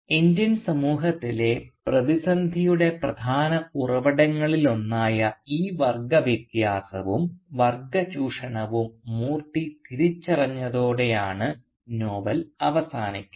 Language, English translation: Malayalam, Now the novel in fact ends with Moorthy realising this class difference and class exploitation as one of the major sources of crisis in the Indian society